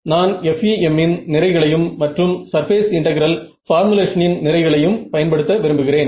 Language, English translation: Tamil, Is I want to make use of the advantages of FEM and the advantages of surface integral formulation